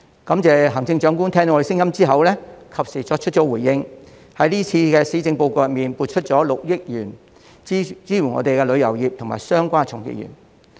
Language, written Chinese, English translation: Cantonese, 感謝行政長官聽到我們的聲音後及時作出回應，在這次施政報告中撥出6億元支援旅遊業及相關從業員。, Thanks to the Chief Executive who after listening to our words has made a timely response in the Policy Address with a commitment of 600 million to support the tourism industry and the associated practitioners